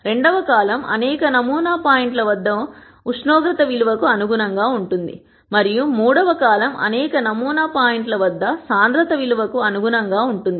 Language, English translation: Telugu, The second column corresponds to the value of temperature at several sample points and the third column corresponds to the value of density at several sample points